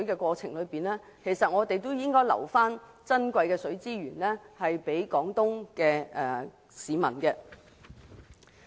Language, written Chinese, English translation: Cantonese, 與此同時，我們亦能預留珍貴的水資源予廣東的市民。, In the meantime we can also reserve the precious water resources to the residents of Guangdong